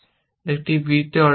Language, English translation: Bengali, So, you will achieve on a b